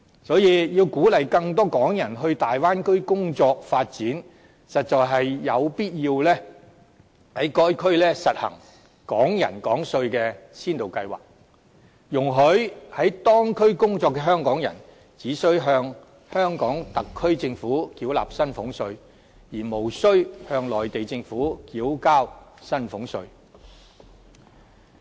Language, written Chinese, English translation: Cantonese, 所以要鼓勵更多港人到大灣區工作、發展，實在有必要在該區實行"港人港稅"的先導計劃，容許在當區工作的香港人，只需向香港特區政府繳納薪俸稅，而無須向內地政府繳交薪俸稅。, Therefore in order to encourage more Hong Kong people to work and develop in the Bay Area it is indeed necessary to launch a pilot scheme of Hong Kong people paying tax in Hong Kong under which those Hong Kong people working in the Bay Area only need to pay salaries tax to the Hong Kong SAR Government but need not pay individual income tax to the Mainland Government